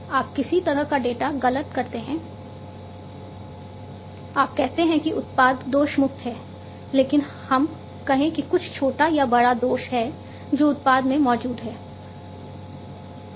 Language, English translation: Hindi, You say that the product is defect free, but let us say that there is some small or big defect that exists in the product